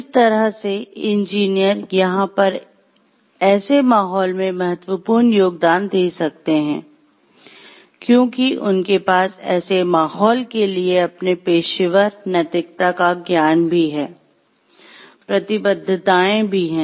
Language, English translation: Hindi, The way that engineers can making a vital contribution over here to such an, such a climate, because they have their professional ethics knowledge also, the commitments also and to such a climate